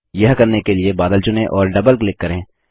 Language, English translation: Hindi, To do so, select the cloud and double click